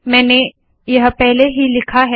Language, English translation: Hindi, So I have already written it here